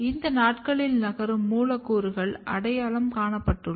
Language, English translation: Tamil, And these days number of mobile molecules has been identified